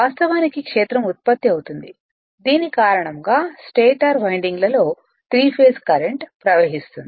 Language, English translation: Telugu, So, the field actually is produced by the 3 phase current which flow in the stator windings